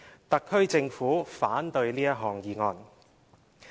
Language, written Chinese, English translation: Cantonese, 特區政府反對這項議案。, The Special Administrative Region Government opposes this motion